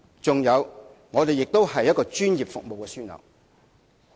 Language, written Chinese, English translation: Cantonese, 此外，香港也是一個專業服務樞紐。, Hong Kong is also a professional services hub